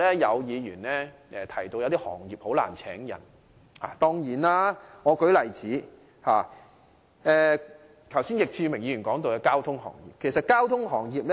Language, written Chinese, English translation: Cantonese, 有議員提到某些行業難以聘請人手，例如易志明議員剛才提及的交通行業。, Some Members say that certain industries such as the transportation sector mentioned by Mr Frankie YICK just now find it hard to hire workers